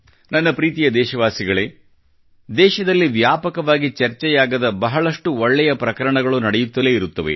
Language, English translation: Kannada, My dear countrymen, there are many good events happening in the country, which are not widely discussed